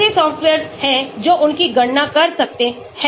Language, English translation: Hindi, There are softwares which can calculate them